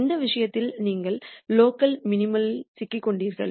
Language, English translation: Tamil, In which case you are stuck in the local minimum